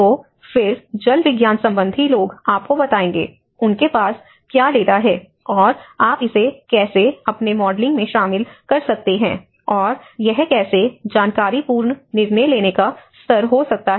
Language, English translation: Hindi, So, then the hydrological modeling people will tell you, you know what is the data they have done and how you can incorporate that in your modeling and how that can be informative decision making level